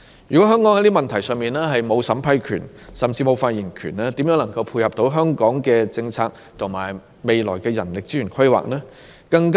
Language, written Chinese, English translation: Cantonese, 如果香港就這些問題沒有審批權，甚至沒有發言權，試問如何能配合香港的政策和未來的人力資源規劃呢？, If Hong Kong does not have the power to vet and approve such applications or does not even have a say on such issues how can decisions be made to tie in with our policy and the future planning of manpower resources?